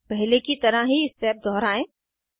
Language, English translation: Hindi, Repeat the same step as before